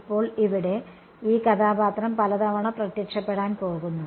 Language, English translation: Malayalam, Now, this character over here is going to appear many times